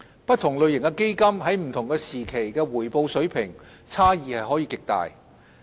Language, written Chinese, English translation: Cantonese, 不同類型的基金在不同時期的回報水平差異極大。, Different types of funds have generated very different levels of returns at different times